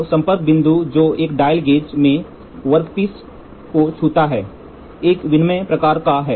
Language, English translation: Hindi, So, the contact point which touches the workpiece in a dial gauge is of an interchangeable type